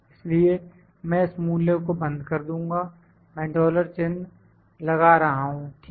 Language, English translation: Hindi, So, I will just lock this value, I am putting dollar signs, ok